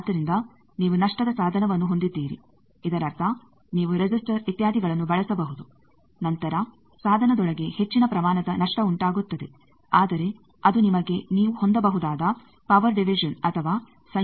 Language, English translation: Kannada, So, you have lossy device; that means, you can use resistors etcetera then there will be some high amount of loss inside the device, but that can give you power division power or combining that you can have